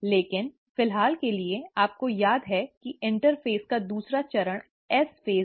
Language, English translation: Hindi, But, for the time being, you remember that the second phase of interphase is the S phase